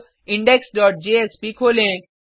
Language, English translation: Hindi, Now, let us open index dot jsp